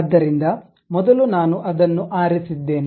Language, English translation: Kannada, So, first I have selected that